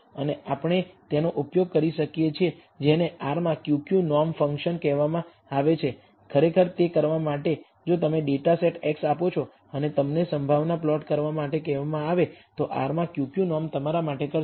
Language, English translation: Gujarati, And we can use what is called Q Q norm function in r to actually do it if you give the data set x and ask you to do a probability plot Q Q norm will do this for you directly in r